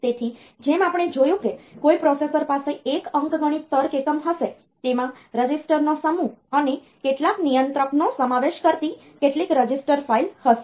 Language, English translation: Gujarati, So, as we have seen that any processor, it will have an arithmetic logic unit it will have some register file consisting of a set of registers, and some controller